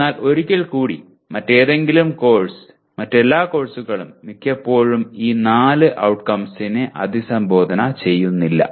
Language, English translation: Malayalam, But once again any other course, all other courses most of the times do not address these four let us say these outcomes